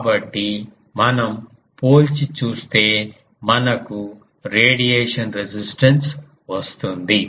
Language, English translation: Telugu, So, if we compare we get the radiation resistance